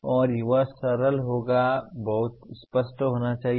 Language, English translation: Hindi, And they should be simple and very clear